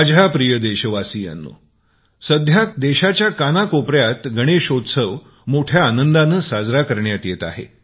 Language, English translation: Marathi, My dear countrymen, Ganesh Chaturthi is being celebrated with great fervor all across the country